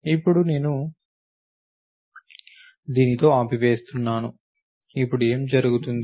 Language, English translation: Telugu, So, now I am stopping with this, because now what is happen